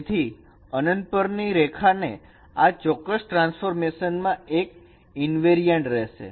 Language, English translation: Gujarati, So line at infinity is the one of the invariants of this particular transformation